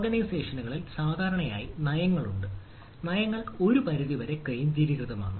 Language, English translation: Malayalam, usually in organizations policies are made somewhat centralized